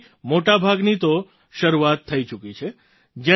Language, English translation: Gujarati, Most of these have already started